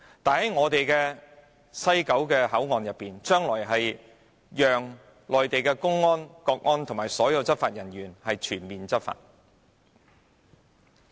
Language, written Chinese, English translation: Cantonese, 反觀我們的西九龍口岸，將來會容許內地公安、國安及所有執法人員全面執法。, In contrast our West Kowloon port will allow full - scale enforcement by Mainland public security officials state security officials and all law enforcement officers in the future